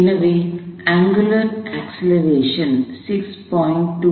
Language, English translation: Tamil, So, the angular acceleration is 6